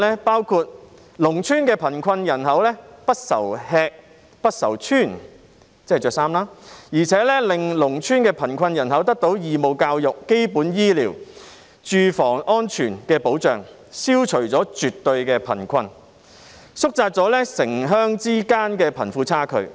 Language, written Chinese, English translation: Cantonese, 包括農村的貧困人口不愁吃、不愁穿，而且令農村的貧困人口得到義務教育、基本醫療及住房安全的保障，消除了絕對的貧困，縮窄了城鄉之間的貧富差距。, They include assuring the rural poor population that they have enough to eat and to wear and guaranteeing the rural poor population access to compulsory education basic medical services and safe housing . While absolute poverty has been eliminated the wealth gap between the rural and urban areas has also been narrowed